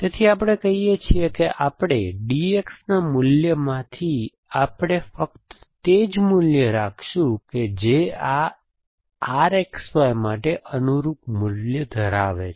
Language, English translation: Gujarati, So, we say that we are going to prune the values of D X to only those values which have a value corresponding value for this R X Y